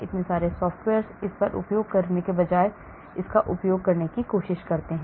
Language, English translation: Hindi, so many software try to use this rather than use this